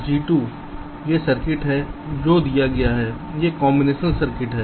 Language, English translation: Hindi, this is the circuit which is given, this combination circuit